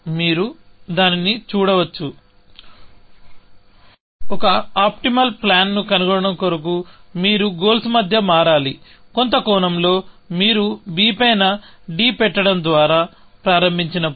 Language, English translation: Telugu, You can see that; to find an optimal plan, you have switch between goals, in some sense, that when you start by putting d on top of a b